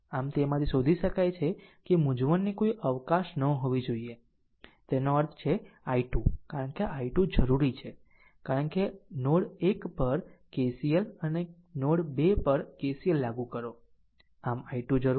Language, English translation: Gujarati, So, from that you can find out there should not be any scope of confusion right so; that means, i 2 expression because i 2 is needed, because we will apply KCL at node 1 and KCL at node 2 so, i 2 is needed